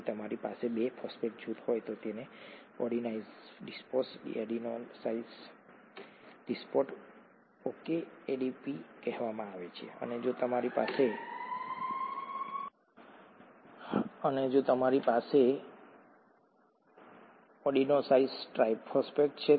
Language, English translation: Gujarati, If you have 2 phosphate groups then this is called adenosine diphosphate, adenosine diphosphate, okay, ADP and if you have 3 phosphate groups attached you have adenosine triphosphate